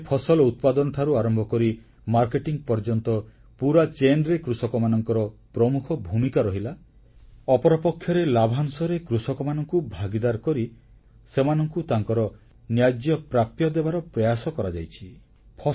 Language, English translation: Odia, On one hand, farmers have a major role in the entire chain from cultivation till the marketing of crops, whereas on the other hand, to make certain the farmers' participation in reaping profits is an attempt to guarantee their right